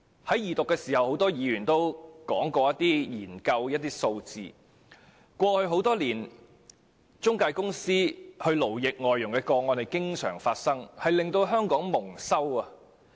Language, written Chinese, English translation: Cantonese, 在二讀時很多議員均提到一些研究數字，指出過去多年來，中介公司勞役外傭的個案時有發生，令香港蒙羞。, A number of Members have quoted some research figures during the Second Reading and pointed out that over the years cases of intermediaries enslaving foreign domestic helpers have occurred from time to time thereby bringing Hong Kong into disrepute